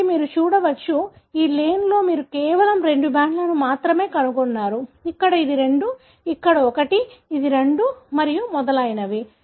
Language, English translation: Telugu, So, you can see, so in this lane you only found two bands, here it is two, here it is one, it is two and so on